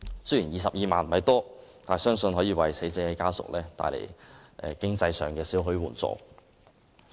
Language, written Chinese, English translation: Cantonese, 雖然22萬元不算多，但相信可為死者家屬經濟上帶來少許援助。, The sum of 220,000 is not significant but it can still provide some financial assistance to relatives of the deceased